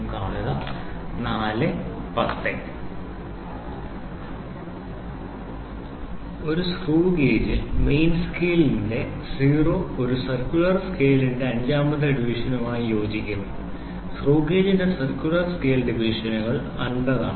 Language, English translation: Malayalam, In a screw gauge the zero of a main scale coincides with the fifth division of a circular scale, the circular scale divisions of the screw gauge are 50